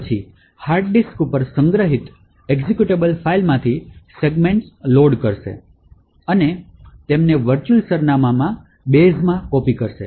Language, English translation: Gujarati, It would then load segments from the executable file stored on the hard disk and copy them into the virtual address base